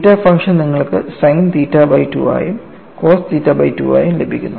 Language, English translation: Malayalam, And you have that theta function as sin theta by 2 and cos theta by 2